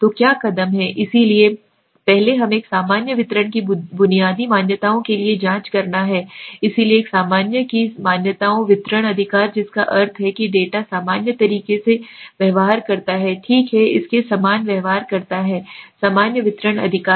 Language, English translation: Hindi, So what are the steps so first we one has to check for the basic assumptions okay of a normal distribution, so assumptions of a normal distribution right that means the data behaves in a normal manner right it behaves similar to a normal distribution right